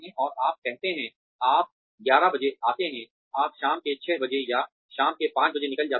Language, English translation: Hindi, And you say, you come at eleven, you leave at, six in the evening, or five in the evening